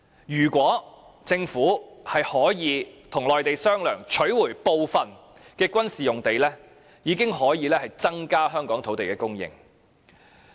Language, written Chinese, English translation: Cantonese, 如果政府可以與內地商量，取回部分軍事用地，已經可以增加香港的土地供應。, The land supply in Hong Kong will increase if the Government can negotiate with the Mainland to recover some of the military sites